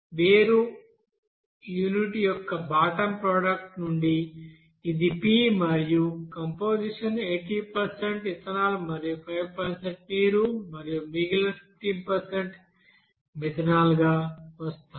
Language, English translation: Telugu, Whereas from the bottom product of the separation unit, it will be coming as P and composition as 80% you know ethanol and 5% water and remaining 15% will be you know methanol